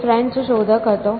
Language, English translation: Gujarati, He was a French inventor